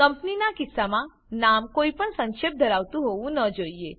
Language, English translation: Gujarati, In case of a Company, the name shouldnt contain any abbreviations